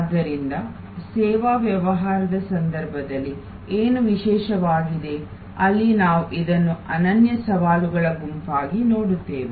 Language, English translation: Kannada, So, what is so special in case of service business, where we see this as a unique set of challenges